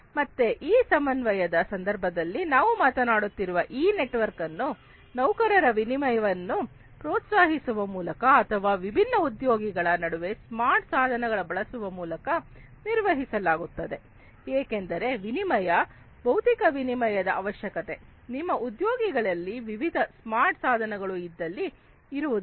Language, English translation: Kannada, So, this network we are talking about in the context of coordination is maintained by encouraging the exchange of employees or by using smart devices between different employees, because exchange, physical exchange, may not be required, you know, if you know if we equip your employees with different smart devices